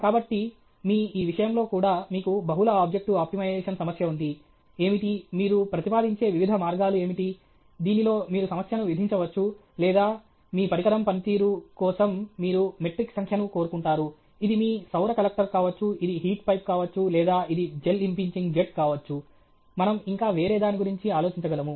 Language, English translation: Telugu, So, in your this thing also, you have a multi objective optimization problem how are, what is the, what are the different ways in which you propose, in which you can impose the problem or you want you want a figure of metric for the performance of your device; it could be your solar collector, it could be a heat pipe or it could be a jet impinging jet whatever, can we think of some other this